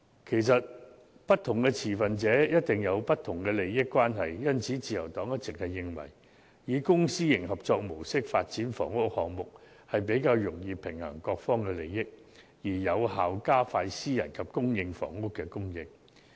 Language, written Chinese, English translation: Cantonese, 其實，不同持份者一定會有不同的利益關係，因此，自由黨一直認為，以公私營合作模式發展房屋項目，會較易平衡各方利益，從而有效加快私人及公營房屋的供應。, As a matter of fact different stakeholders will certainly have different interests . This is why the Liberal Party always finds it is easier to strike a balance among various interests by developing housing projects under a Public - Private Partnership PPP mode thereby expediting the production of both private and public housing units